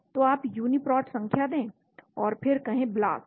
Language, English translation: Hindi, so you give the Uniprot number and then say BLAST